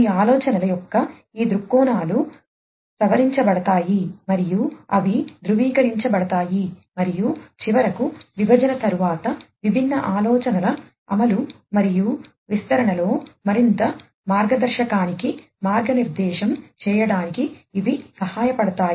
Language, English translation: Telugu, These viewpoints of these ideas are revised and they are validated and finally, after division, these will be helping to guide further guide in the implementation and deployment of the different ideas